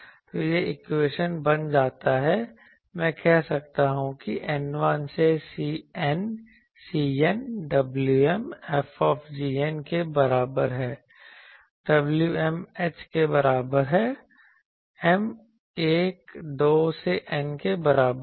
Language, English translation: Hindi, So, this equation becomes, I can say like this that n is equal to 1 to N C n w m F is equal to w m h m is equal to 1,2 up to N